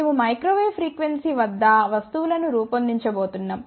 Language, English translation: Telugu, But since we are going to design things at microwave frequencies